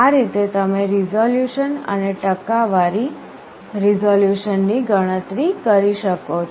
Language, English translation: Gujarati, In this way you can calculate resolution and percentage resolution